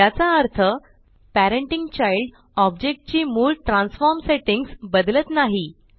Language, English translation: Marathi, This means that parenting does not change the original transform settings of the child object